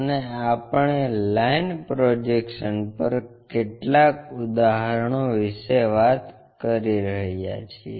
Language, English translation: Gujarati, And we are working out few examples on line projections